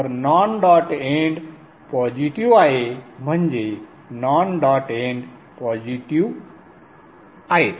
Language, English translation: Marathi, So the non dot end is positive which means the non dot ends are positive